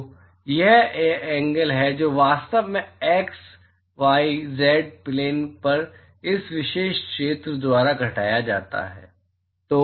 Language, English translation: Hindi, So, this is the angle that is actually subtended by this particular area on the x, z, y plane